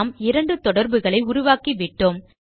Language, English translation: Tamil, You can see that we just created two relationships